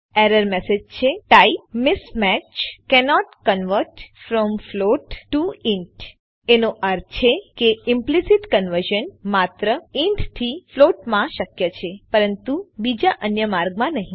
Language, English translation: Gujarati, The error message reads, Type mismatch: cannot convert from float to int It means Implicit conversion is possible only from an int to a float but not the the other way